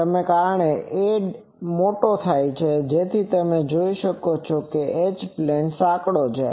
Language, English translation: Gujarati, Now, since a is larger that is why you see H plane is narrower